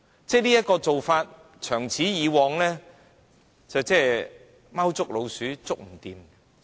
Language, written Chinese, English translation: Cantonese, 這個做法長此下去，即像"貓捉老鼠，捉不完"。, This practice in the long run is never - ending just like a cat - and - mouse game